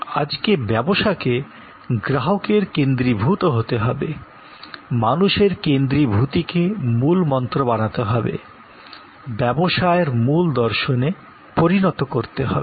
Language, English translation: Bengali, But, today that is not a say so, today it has to become this customer's centricity, humans centricity as to become the key mantra, as to become the core philosophy of business